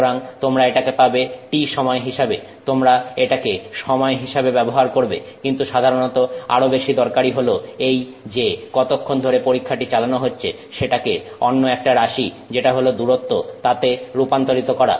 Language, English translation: Bengali, You can use it as time but usually it is much more useful to actually convert this how long the test is carried out to another parameter which is distance